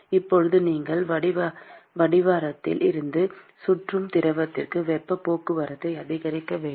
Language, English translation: Tamil, Now you want to increase the heat transport from the base to the fluid which is circulating around